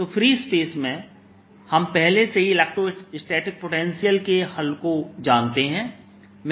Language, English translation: Hindi, so in free space we already know the solution for the electrostatic potential